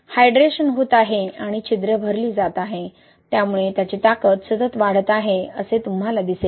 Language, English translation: Marathi, So, hydration is occurring and pores are being filled, so you see continuous increase in strength